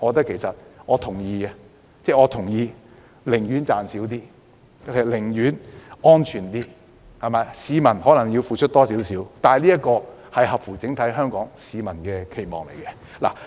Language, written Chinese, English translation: Cantonese, 其實，我贊成寧可少賺一點錢，也要確保市民安全，即使市民須多付一點費用，但卻合乎整體香港市民的期望。, In fact I am in favour of ensuring public safety at the expense of profits . The users may have to pay a little more but it is in line with the expectations of the people of Hong Kong as a whole